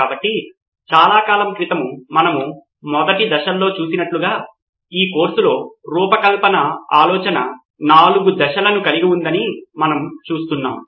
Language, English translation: Telugu, So as we saw in the very first stages have been for a long time now we have been seeing that design thinking in this course has four stages